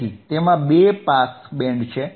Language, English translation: Gujarati, So, it has two pass bands correct